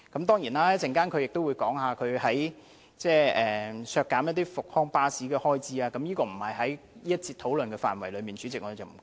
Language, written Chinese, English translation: Cantonese, 當然，他稍後亦會就削減復康巴士的開支發言，但這並不屬於這一節的討論範圍，主席，我們暫且不談。, Of course he will speak on cutting the expenditure on Rehabus service but we will not discuss that Chairman as it is not within the scope of this debate session